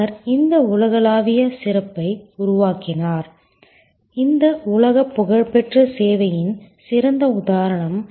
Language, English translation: Tamil, He created this global excellence this world famous example of service excellence